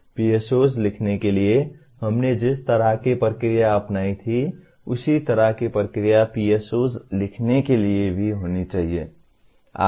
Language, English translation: Hindi, The kind of process that we followed for writing PEOs the same, similar kind of process should be followed by for writing PSOs as well